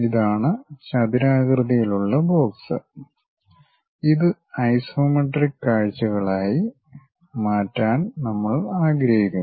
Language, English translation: Malayalam, This is the rectangular box, what we would like to really change it into isometric views